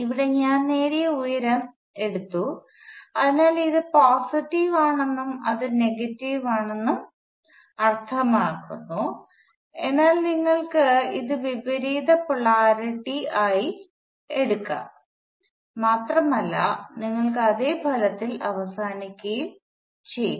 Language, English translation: Malayalam, Here I have taken the height that is gained so that means that this is positive and that is negative, but you could also take it with opposite polarity and you will end up with exactly the same result